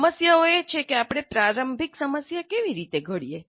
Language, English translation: Gujarati, So these problems are that, how do we formulate the initial problem